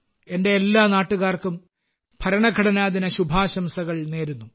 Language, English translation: Malayalam, I extend my best wishes to all countrymen on the occasion of Constitution Day